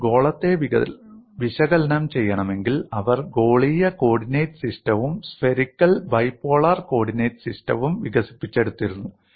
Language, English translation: Malayalam, So they develop skewed coordinate system, and they if they have to analyze swear, they had developed spherical coordinate system and spherical bipolar coordinate system